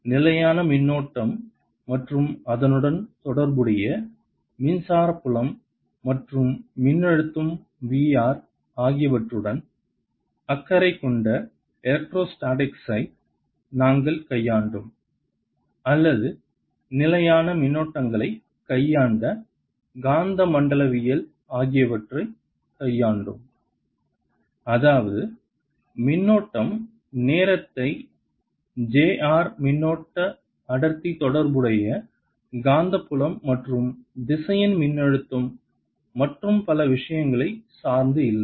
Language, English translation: Tamil, so we've dealt with electrostatics, which concerned itself with fixed charges and corresponding electric field and the potential v, r, or we dealt with magnetostatics, which dealt with steady currents news that means the current did not depend on time, j, r, current, density, the corresponding magnetic field and the vector potentials and so on